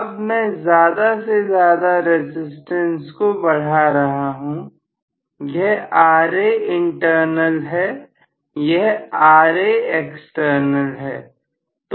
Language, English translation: Hindi, Now I am going to increase more and more resistance, so this is Ra internal, this is Ra external